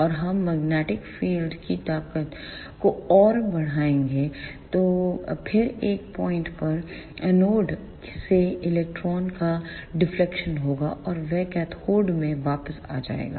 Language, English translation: Hindi, And we further increase the magnetic field strength, then at one point there will be deflection of the electron from the anode and that will return to the cathode